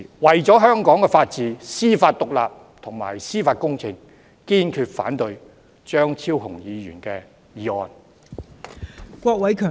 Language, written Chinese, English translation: Cantonese, 為了香港的法治、司法獨立和司法公正，堅決反對張超雄議員的議案。, For the sake of the rule of law judicial independence and judicial justice I staunchly oppose Dr Fernando CHEUNGs motion